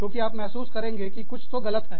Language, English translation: Hindi, Because, you feel, something is wrong, something is wrong